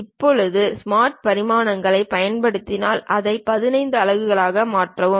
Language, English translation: Tamil, Now, use Smart Dimensions maybe change it to 15 units